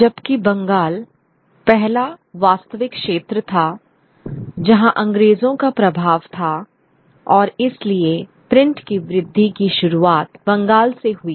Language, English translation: Hindi, Whereas Bengal was the first real territory where the British had their influence and therefore the growth of print also commenced from Bengal